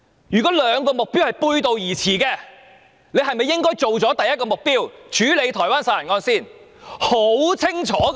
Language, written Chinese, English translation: Cantonese, 如果兩個目標背道而馳，政府應否先處理第一個目標，亦即解決台灣殺人案呢？, If the two objectives run counter to each other should the Government handle the matter of greater urgency first by dealing with the Taiwan homicide case?